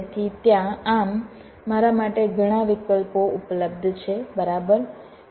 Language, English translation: Gujarati, so there so many options available to me, right